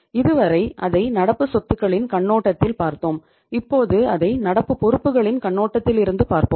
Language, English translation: Tamil, So till now we have seen it from the perspective of the current assets and now we will see it from the perspective of the current liabilities